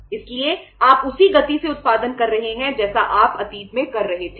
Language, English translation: Hindi, So you are producing at the same pace as you were producing in the past